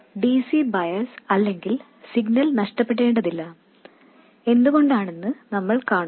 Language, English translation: Malayalam, We don't have to lose either the DC bias or the signal and we will see why